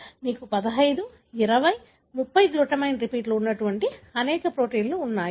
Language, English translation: Telugu, We have many such proteins that have got, you know, 15, 20, 30 glutamine repeats